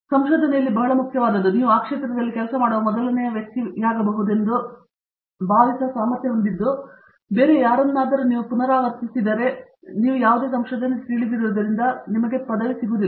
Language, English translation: Kannada, What is very important in research is, to be able to feel that you are possibly the first one to be working in that field, after all you know any research if you simply repeat what somebody else has done, you would not get a degree